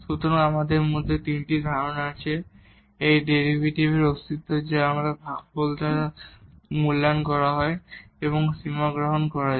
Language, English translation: Bengali, So, we have basically the three concept one was the existence of this derivative which is evaluated by this quotient and taking the limit